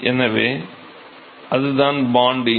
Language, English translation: Tamil, So, that is the Bond number